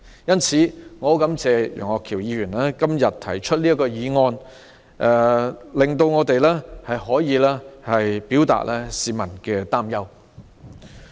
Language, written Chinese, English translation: Cantonese, 因此，我感謝楊岳橋議員提出這項議案辯論，讓我們表達市民的憂慮。, Therefore I am grateful to Mr Alvin YEUNG for proposing this motion debate allowing us to convey the publics worries